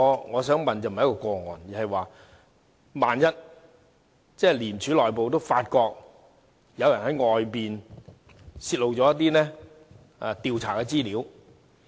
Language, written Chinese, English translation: Cantonese, 我想問的並非一宗個案，而是萬一廉署內部發覺有人員在外面泄露一些調查的資料......, My question is not about this particular case . Rather I want to know what will happen if ICAC itself observes that some of its staff have leaked certain investigation information to outsiders